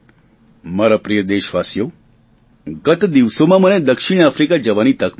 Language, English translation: Gujarati, My dear countrymen, I had the opportunity to visit South Africa for the first time some time back